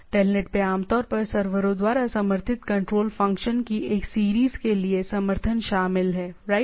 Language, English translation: Hindi, The TELNET includes support for series of control function commonly supported by the servers right so series of